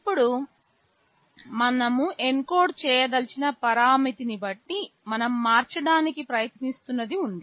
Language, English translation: Telugu, Now, depending on the parameter we want to encode there is something we are trying to vary